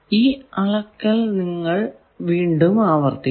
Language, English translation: Malayalam, So, if you repeat several times the same measurement